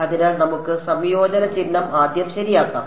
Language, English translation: Malayalam, So, let us put the integration sign first ok